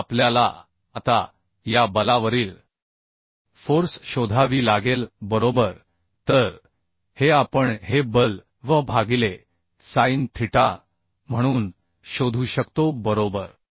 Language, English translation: Marathi, 5 kilonewton and we have to now find out the force on this force right So this we can find out this force as V by sin theta right so V we got 12